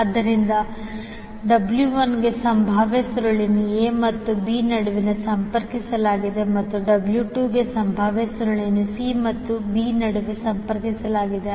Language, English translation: Kannada, So for W 1 the potential coil is connected between a and b and for W 2 the potential coil is connected between c and b